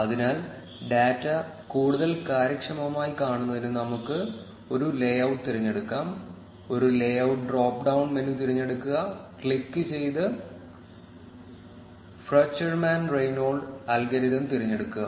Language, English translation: Malayalam, Therefore, let us choose a layout so that we can see the data more efficiently, click on choose a layout drop down menu and select Fruchterman Reingold algorithm